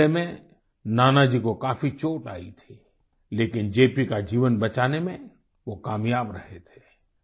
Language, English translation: Hindi, Nanaji Deshmukh was grievously injured in this attack but he managed to successfully save the life of JP